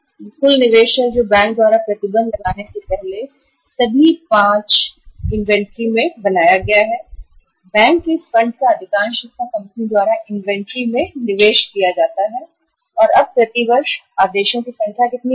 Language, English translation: Hindi, This is the total investment which is made in the inventory in all the 5 items before say imposing the restrictions by the bank this much of the funds are invested by the company into the inventory by borrowing it from the bank and now see number of orders per year is how much